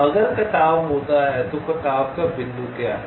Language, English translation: Hindi, if the intersect, what is the point of intersection